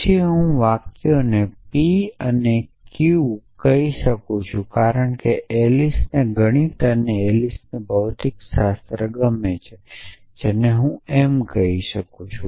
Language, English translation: Gujarati, Then I can call the sentences p and q because Alice like math’s and Alice likes physics this I can call as m